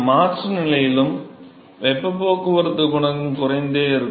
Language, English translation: Tamil, So, in the transition stage also, the heat transport coefficient will continue to decrease